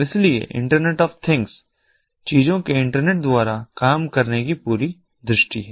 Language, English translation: Hindi, so this is the whole vision of internetwork of things, internet of things